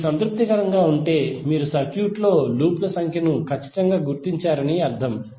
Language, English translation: Telugu, If it is satisfying it means that you have precisely identified the number of loops in the circuit